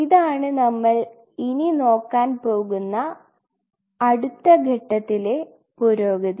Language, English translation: Malayalam, This is the next level advancement what we are going to deal